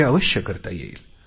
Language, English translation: Marathi, This can surely be done